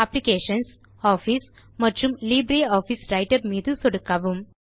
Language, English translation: Tamil, Click on Applications, Office and LibreOffice Writer